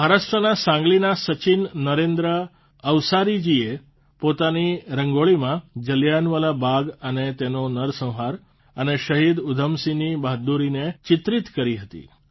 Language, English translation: Gujarati, Sachin Narendra Avsari ji of Sangli Maharashtra, in his Rangoli, has depicted Jallianwala Bagh, the massacre and the bravery of Shaheed Udham Singh